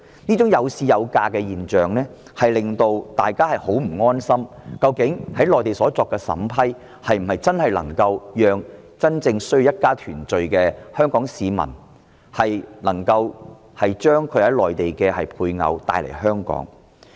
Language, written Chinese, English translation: Cantonese, 這種"有市有價"的現象，令大家很不安心，質疑內地所作的審批，究竟是否能讓真正需要一家團聚的香港人將他們的內地配偶帶來香港。, This phenomenon of OWPs being marketable at good prices is the cause of worries to the public who query whether the vetting and approval of applications by the Mainland can really bring to Hong Kong the Mainland spouses of the Hong Kong residents who genuinely need family reunion